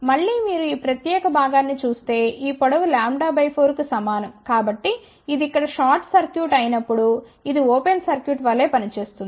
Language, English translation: Telugu, Again if you see this particular portion this length is also equal to lambda by 4 so that when this is short circuited here this will act as an open circuit